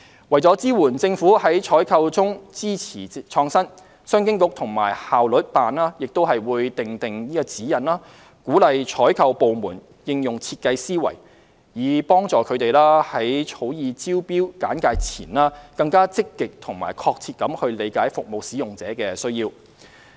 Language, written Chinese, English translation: Cantonese, 為支援政府在採購中支持創新，商務及經濟發展局及效率辦亦會訂定指引，鼓勵採購部門應用設計思維，以助它們在草擬招標簡介前，更積極及確切地理解服務使用者的需要。, To support pro - innovation procurement the Commerce and Economic Development Bureau and the Efficiency Office will also formulate guidelines to encourage procuring departments to adopt design thinking so that they will proactively seek a better understanding of the needs of users before they draw up tender briefs